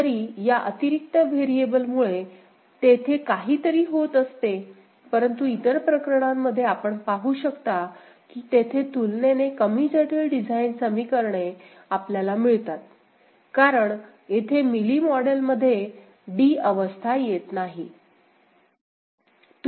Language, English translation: Marathi, Even if something because of this additional variable that is there, but in the other cases you can see that there is a relatively you know, less complex design equations that we get because of the state d not being present here in the Mealy model ok